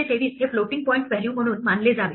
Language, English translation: Marathi, 523 should be treated as a floating point value